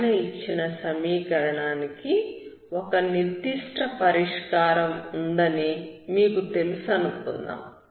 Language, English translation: Telugu, Suppose you know that the above given equation has some particular solution